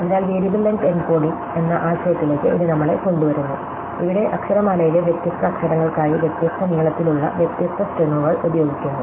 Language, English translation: Malayalam, So, this brings us to the idea having a variable length encoding, where we use different strings of different length for different letters in the alphabet